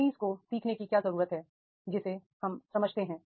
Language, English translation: Hindi, What trainees need to learn that we understand